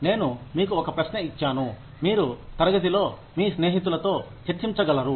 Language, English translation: Telugu, I gave you a question that, you could discuss in class, with your friends